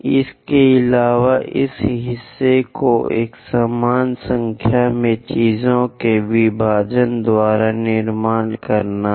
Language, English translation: Hindi, And this part one has to construct by division of equal number of things